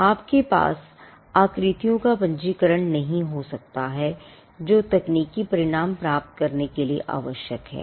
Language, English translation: Hindi, you cannot have registration of shapes that are necessary to obtain technical result